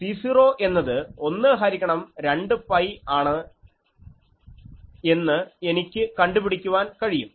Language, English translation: Malayalam, So, this one so I can find C 0 that will be a 1 by 2 pi